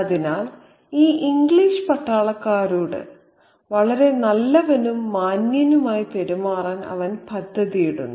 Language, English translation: Malayalam, So, he is planning on being very, very nice and gentlemanly to these English soldiers